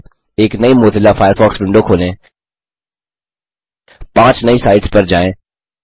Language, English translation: Hindi, * Open a new Mozilla Firefox window, * Go to five new sites